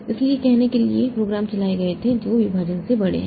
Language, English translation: Hindi, So, these were done to say have the programs run which are larger than the partition